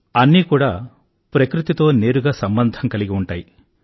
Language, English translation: Telugu, There is a direct connect with nature